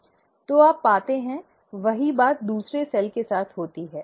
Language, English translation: Hindi, So, you find, same thing happens with the other cell